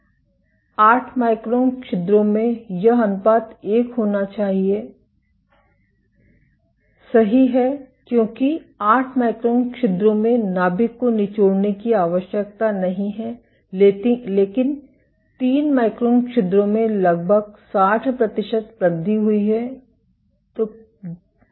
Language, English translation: Hindi, This ratio in 8 micron pores it should be 1, right because in eight micron pores the nuclear does not need to be squeezed, but in 3 micron pores there is a nearly 60 percent increased